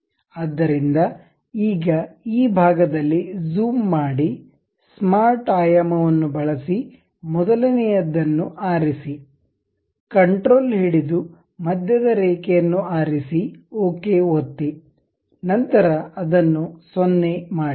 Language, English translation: Kannada, So, now, zoom in this portion, use smart dimension; pick the first one control button, center line, click ok, then make it 0